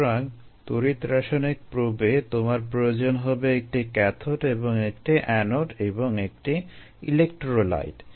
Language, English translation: Bengali, so you need a cathode and an anode and an electrolyte